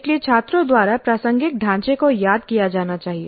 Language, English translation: Hindi, So the relevant framework must be recalled by the students